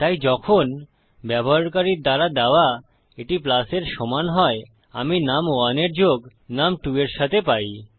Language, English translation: Bengali, So when this equals to plus supplied by the user, we have num1 added to num2